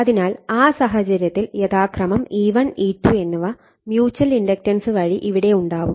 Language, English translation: Malayalam, So, in that case your that your E1 and E2 respectively / mutual inductions